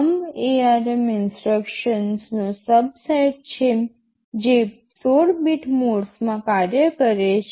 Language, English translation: Gujarati, Thumb means thumb is a subset of the of the ARM instructions, which works in 16 bit mode